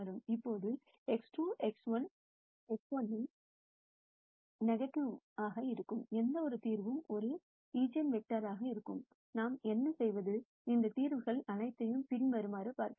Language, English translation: Tamil, Now any solution where x 2 is the negative of x 1 would be a eigenvector, what we do is, the following of all of those solutions